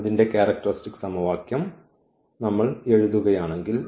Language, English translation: Malayalam, So, if we write down its characteristic equation